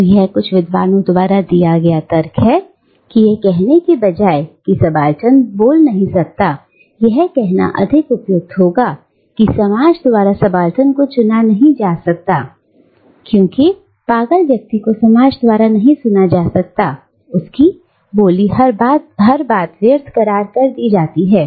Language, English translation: Hindi, So, it has been argued by some scholars, that rather than saying that the Subaltern cannot speak, it is more apt to say that the subaltern cannot be heard by the society, just like the mad person cannot be heard by the society because her speech is considered as vacuous